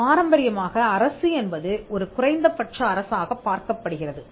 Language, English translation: Tamil, Now, traditionally the state is seen as a minimal state